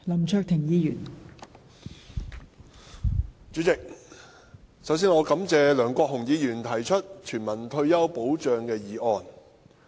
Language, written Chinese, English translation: Cantonese, 代理主席，首先我感謝梁國雄議員提出有關全民退休保障的議案。, First of all Deputy President I thank Mr LEUNG Kwok - hung for proposing the motion on universal retirement protection